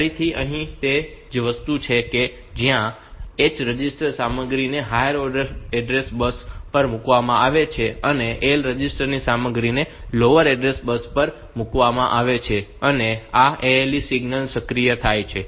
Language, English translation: Gujarati, Again, the same thing that this H register content is put on to the higher order address bus, L register content is put on to the lower order bus